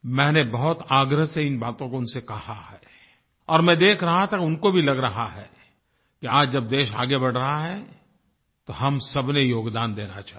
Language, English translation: Hindi, I stressed this upon them and I noticed that they too realized that today when the nation is surging ahead, all of us must contribute to it